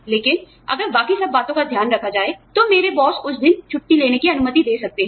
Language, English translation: Hindi, But, if everything else is taken care of, my boss may permit me, to take that day off